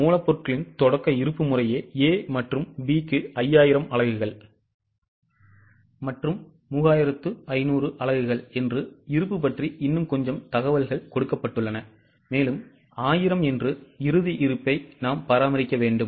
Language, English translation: Tamil, Little more information is given about stock that the opening stock of raw material is 5,000 units and 3,500 units respectively for A and B and we need to maintain closing stock of 1000